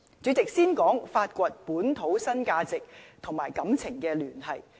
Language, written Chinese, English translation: Cantonese, 主席，先說發掘本土新價值與情感聯繫。, President I will talk about discovering local new values with emotion connection first